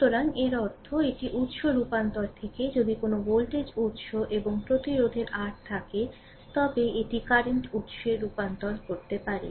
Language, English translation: Bengali, So, that means, this is the source transformation that means, from the your if you have a voltage source and resistance R like this, you can convert it into the current source right